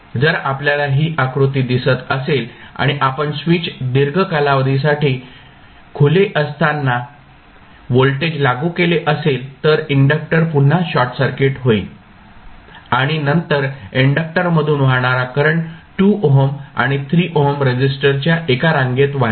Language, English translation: Marathi, If you see this figure and if you apply voltage this for very long duration with switch is open the inductor will again be short circuited and then the current flowing through the inductor will be driven by the series combination of 2 ohm and 3 ohm resistances